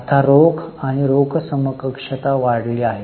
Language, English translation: Marathi, Cash and cash equivalents has gone up